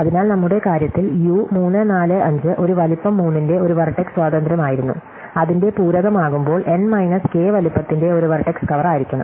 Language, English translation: Malayalam, So, in our case U 3, 4, 5 was a vertex independent set of size 3, then itÕs complement must be a vertex cover of size N minus K